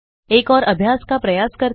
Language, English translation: Hindi, Let us try one more exercise